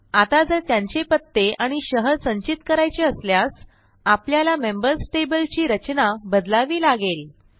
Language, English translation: Marathi, Now if we have to store their address and city information also, we will need to modify the Members table structure